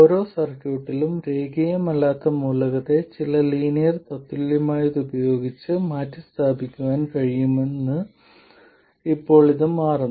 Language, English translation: Malayalam, It turns out that in every circuit the nonlinear element can be replaced by some linear equivalent